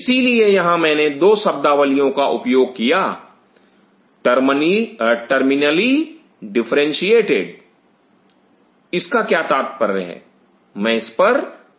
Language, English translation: Hindi, So, I used 2 terms here terminally differentiated what does that mean, I will come to that